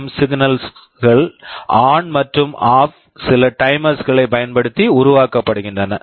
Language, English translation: Tamil, Essentially this PWM signals, ON and OFF, are generated using some timers